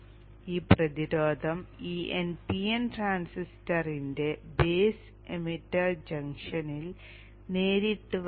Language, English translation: Malayalam, Now this resistance coming directly across the base emitter junction of this NPN transistor